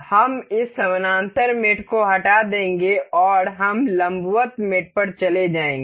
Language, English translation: Hindi, We will remove this parallel mate and we will move on to perpendicular mate